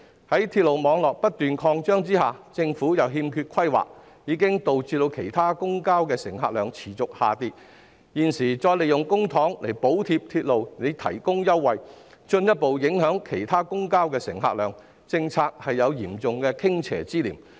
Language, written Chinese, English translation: Cantonese, 鐵路網絡不斷擴張，但政府卻欠缺規劃，導致其他公共交通的乘客量持續下跌，現時再利用公帑補貼鐵路提供優惠，進一步影響其他公共交通的乘客量，政策有嚴重傾斜之嫌。, While the railway network keeps expanding the Government lacks planning causing a continuous decrease in the patronage of other modes of public transport . Now that public money is being used again to subsidize the concessions for railway services the patronage of other public vehicles will be further affected . The policy seems to be seriously tilted